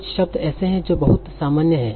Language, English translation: Hindi, There are certain words that are very, very common